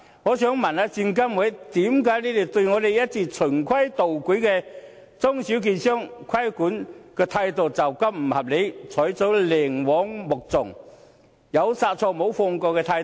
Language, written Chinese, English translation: Cantonese, 我想問證監會，為何對我們這些一直循規蹈矩的中小券商的規管態度會是如此不合理，採取寧枉莫縱，有殺錯無放過的態度？, Why has SFC adopted such an unreasonable regulatory attitude towards all the law - abiding small and medium securities dealers like us striving at stringency at all costs even to the extent of victimizing the innocent?